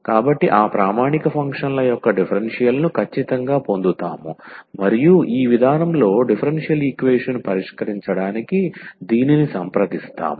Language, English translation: Telugu, So, we will get exactly the differential of those standard functions and this is what we approach by solving the for solving the differential equation in this approach